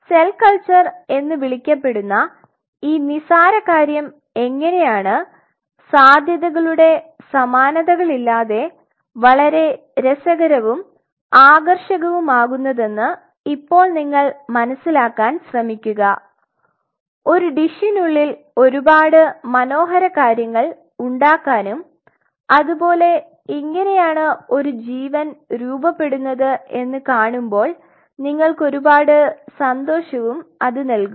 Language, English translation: Malayalam, Now, we try to see that how are trivia problem called cell culture can become so very interesting and so very fascinating to appreciate that the possibilities the of possibilities is unparalleled there are so many beautiful things you can achieve in a dish and that will give you a joy to see this is how the life is formed